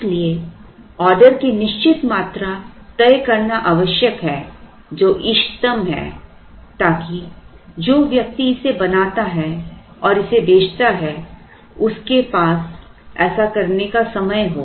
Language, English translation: Hindi, Therefore, it is necessary to fix on a certain order quantity which is optimal such that the person who makes it and sells it has the time to do